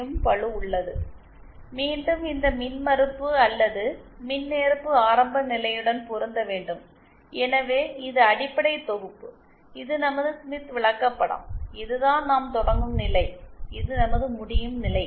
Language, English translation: Tamil, 0 as shown and again we have to match this impedance or admittance to the origin, so this is the basic set, this is our Smith chart, this is where we start from and this is our destination